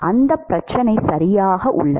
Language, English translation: Tamil, So, this is the correct problem